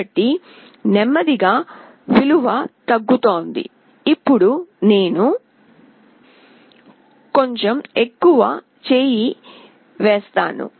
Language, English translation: Telugu, So, slowly the value is getting decreased, now I am putting little more hand